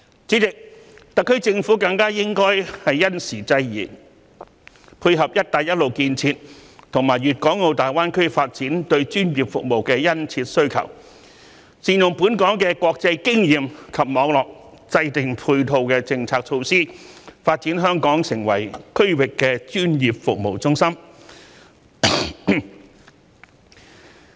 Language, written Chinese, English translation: Cantonese, 主席，特區政府更應因時制宜，配合"一帶一路"建設和粵港澳大灣區發展對專業服務的殷切需求，善用本港的國際經驗及網絡，制訂配套的政策措施，發展香港成為區域的專業服務中心。, President the SAR Government should in a timely manner appropriately respond to the keen demand for professional services brought about by the Belt and Road Initiative and the development in GBA and make good use of the international experience and network of Hong Kong to draw up supporting policy measures for developing the territory into a regional centre for professional services